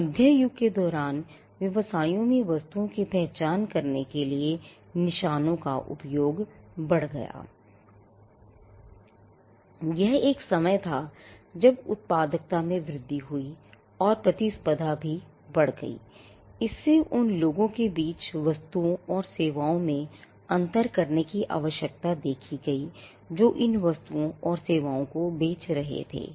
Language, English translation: Hindi, The use of marks for businesses to identify goods increased around the middle ages, which was a time when productivity increased, and competition also increased and this saw the need to distinguish, goods and services amongst people who were selling these goods and services and industrialization also played a role